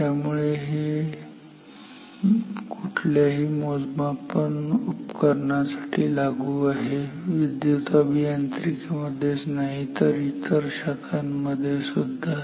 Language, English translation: Marathi, So, this is true for any measuring instrument, electrical engineering in any other discipline everywhere